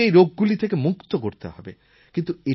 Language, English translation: Bengali, We have to eradicate these diseases from India